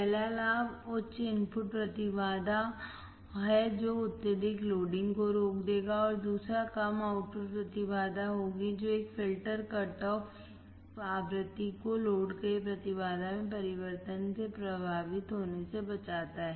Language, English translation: Hindi, First advantage is high input impedance that will prevent the excessive loading; and second would be the low output impedance, which prevents a filter cut off frequency from being affected by the changes in the impedance of the load